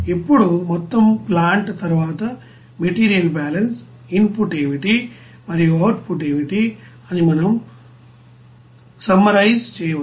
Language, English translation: Telugu, Now overall plant then material balance, we can summarize as what will be the input and what would be the output